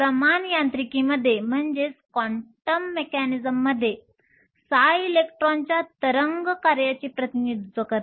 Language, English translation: Marathi, In quantum mechanics psi represents the wave function of the electron